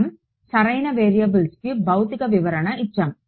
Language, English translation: Telugu, We had given the physical interpretation to the variables right